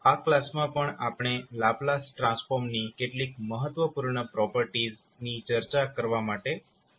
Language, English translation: Gujarati, So in this class also we will continue our journey on discussing the few important properties of the Laplace transform